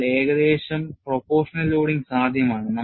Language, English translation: Malayalam, So, nearly proportional loading is possible